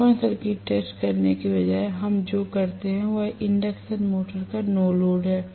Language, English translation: Hindi, Rather than doing open circuit test what we do is no load test of the induction motor